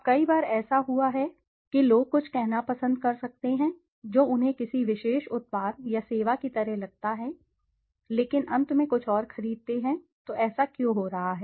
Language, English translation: Hindi, Now many a times it has been, we have seen that people might prefer say something that they like a particular product or service, but at the end buy something else, so why is this happening